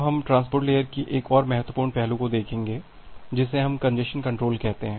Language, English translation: Hindi, Now, we will see another important aspect of the transport layer which we call as the congestion control